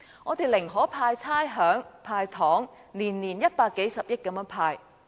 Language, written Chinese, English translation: Cantonese, 他寧可豁免差餉和"派糖"，每年派發一百數十億元。, He would rather offer rates concessions and give away candies with 10 billion to several billion dollars doled out per annum